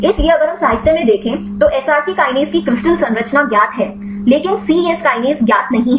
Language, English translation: Hindi, So, if we look in the literature; so crystal structure of cSrc kinase is known, but cyes kinase is not known